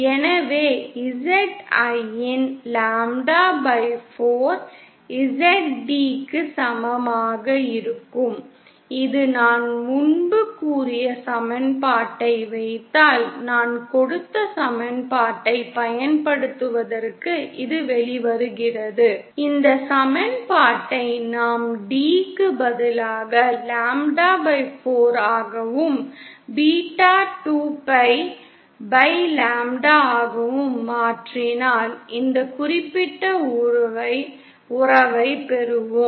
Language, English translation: Tamil, So Zin will be equal to Zd equal to lambda/4 and this comes out to using the equation that I just gave if we put in the equation that I had previously stated that if this equation this equation if we substitute in place of d as lambda/4 and beta as 2pi/lambda then we get this particular relationship